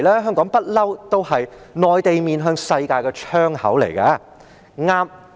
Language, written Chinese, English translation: Cantonese, 香港一向是內地面向世界的窗口。, Hong Kong has been serving as a window to the world for the Mainland all along